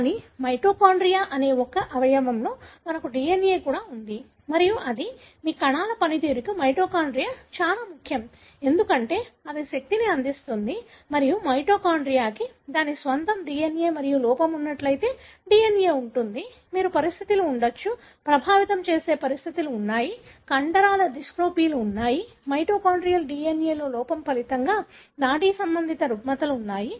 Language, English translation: Telugu, But, we also have DNA in one of the organelle that is mitochondria and it is, mitochondria is very, very important for your function of the cells, because it provides energy and mitochondria has its own DNA and the DNA if it is defective, you could have conditions; there are conditions that affects, there are muscular dystrophies, there are neurological disorders resulting from defect in mitochondrial DNA